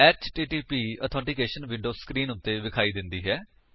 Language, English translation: Punjabi, HTTP Authentication window appears on the screen